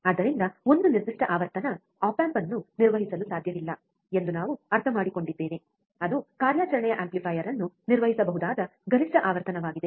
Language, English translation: Kannada, So, from that what we also understand that a particular frequency, the op amp cannot be operated, that is a maximum frequency at which the operational amplifier can be operated